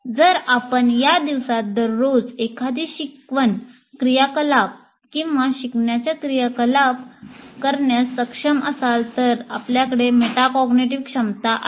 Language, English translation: Marathi, So if you are able to do all these things in your day to day learning activity or even teaching activity, then we have that metacognitive ability